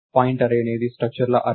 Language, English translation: Telugu, So pointArray is an array of structures